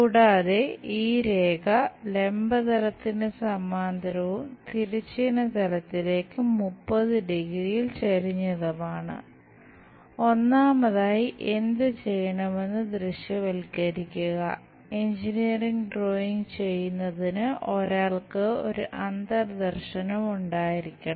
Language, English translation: Malayalam, And, this line is parallel to vertical plane and inclined to horizontal plane at 30 degrees